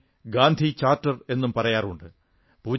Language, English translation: Malayalam, This is also known as the Gandhi Charter